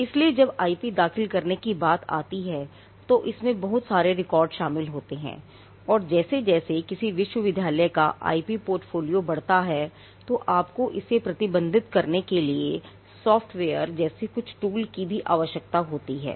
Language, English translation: Hindi, So, there is quite a lot of record keeping involved in when it comes to filing IPs and as the IP portfolio of a university grows then it would also require you to have some tools like software to manage this